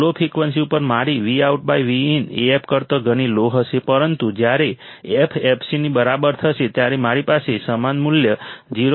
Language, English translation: Gujarati, At very low frequencies my Vout by Vin will be extremely less than Af, but when f equals to fc, I will have the similar value 0